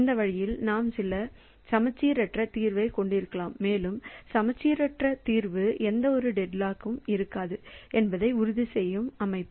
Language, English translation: Tamil, So, this way we can have some asymmetric solution and that asymmetric solution will ensure that there will be no deadlock in the system